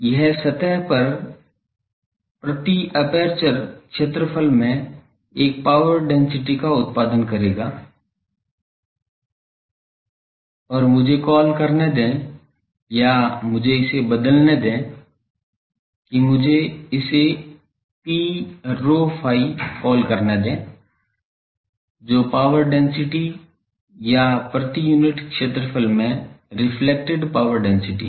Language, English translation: Hindi, It will produce a power density per aperture area in the surface and let me call that or let me change it that let me call this P rho phi, is the power density reflected to power density or power per unit area